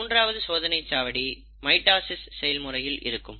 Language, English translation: Tamil, The third checkpoint is actually in the process of mitosis